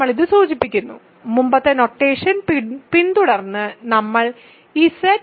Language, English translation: Malayalam, We denote it, just following the earlier notation, we put it Z square bracket root 2 ok